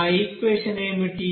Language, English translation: Telugu, So what is that equation